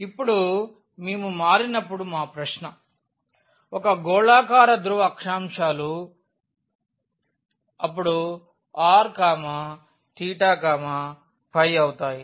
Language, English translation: Telugu, Now, our question is when we change into the; a spherical polar coordinates then what would be r theta and phi